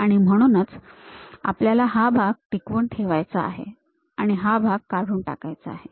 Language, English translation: Marathi, And we would like to retain that part and remove this part